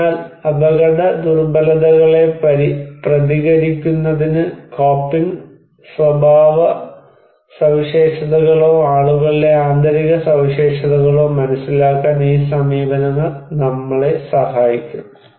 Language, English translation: Malayalam, So, these approaches can help us to understand the coping characteristics or internal characteristics of people to respond vulnerability